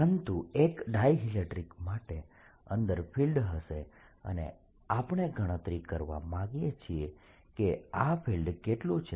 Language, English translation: Gujarati, but for a dielectric the field does penetrate inside and we want to calculate how much is this field